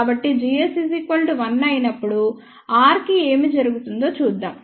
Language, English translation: Telugu, Let us see what happens to r gs so, when g s is equal to 1